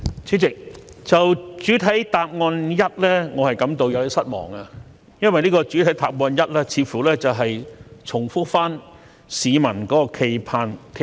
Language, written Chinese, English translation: Cantonese, 主席，對於主體答覆第一部分，我感到有點失望，因為主體答覆第一部分似乎重複市民的冀盼。, President I am a bit disappointed with part 1 of the main reply because it seems to be repeating the publics aspiration